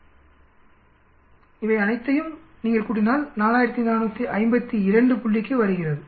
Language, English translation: Tamil, 6 square, if you add up all these it comes to 4452 point